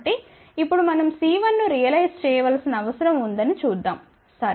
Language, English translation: Telugu, So, now let us see we need to realize C 1, ok